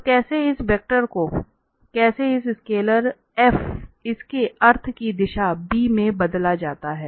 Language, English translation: Hindi, So our interest is how this vector… how this scalar f this function f changes in the direction of b meaning